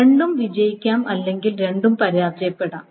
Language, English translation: Malayalam, Either both have succeeded or both have failed